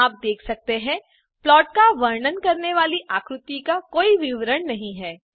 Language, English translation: Hindi, As you can see, the figure does not have any description describing the plot